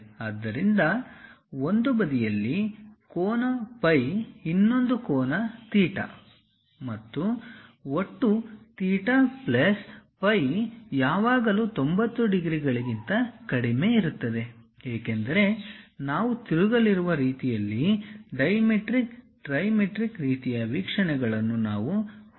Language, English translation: Kannada, So, something like an angle phi on one side, other angle theta, and total theta plus phi is always be less than is equal to 90 degrees; because we are rotating in such a way that, dimetric ah, trimetric kind of views we are going to have